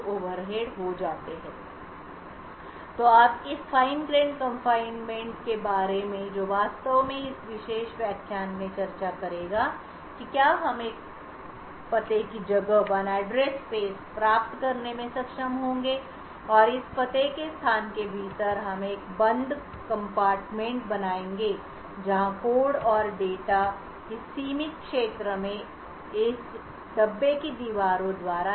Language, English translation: Hindi, So now with this fine grained confinement which will actually discuss in this particular lecture what we would be able to do is obtain one address space and within this address space so we would create a closed compartment where code and data executing in this confined area is restricted by the walls of this compartment